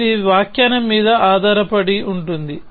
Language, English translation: Telugu, depended upon the interpretation